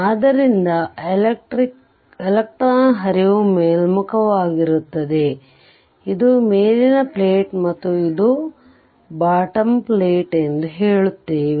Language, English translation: Kannada, So, because of that that electrons actually it this is your this is your upper plate and this is that bottom plate say